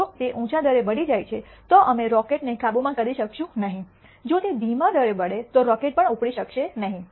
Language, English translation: Gujarati, If it burns at a higher rate then we will not be able to come control the rocket, if it burns at the slower rate then the rocket may not even take off